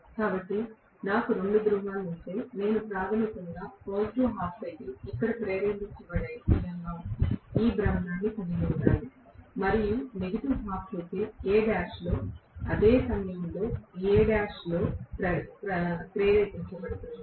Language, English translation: Telugu, So, if I have two poles, I should have this rotating in such a way that I am going to have basically positive half cycle is induced here and negative half cycle is induced at the same point in A dash at the same instant of time in A dash